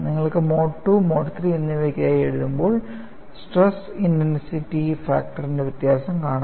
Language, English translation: Malayalam, You can write for Mode 2, as well as Mode 3, and the difference is the stress component that you are going to look at